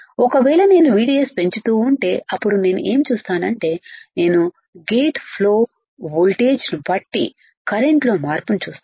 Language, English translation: Telugu, If I keep on increasing my VDS, if I keep on increasing my VDS then what I will see I will see the change in the current depending on the gate flow voltage